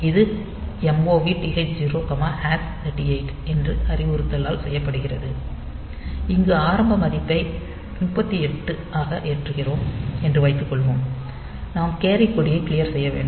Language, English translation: Tamil, So, that is done by this instruction MOV TH0,#38h, suppose we are loading this initial value as 38h, we have to clear the carry flag